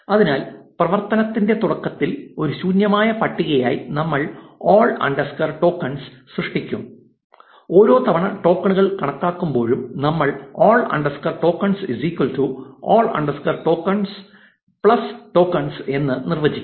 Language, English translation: Malayalam, So, we will create all underscore tokens as an empty list in the beginning of the function and every time we calculate the tokens, what we will do is we will say all underscore tokens is equal to all underscore tokens plus tokens